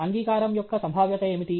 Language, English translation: Telugu, What is the probability of acceptance